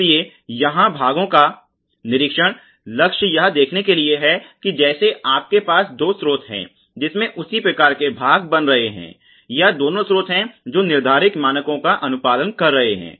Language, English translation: Hindi, So, the parts inspection goal here is to sort of see that if you are having you know two sources from which same part is coming or both the sources complying to the standards laid out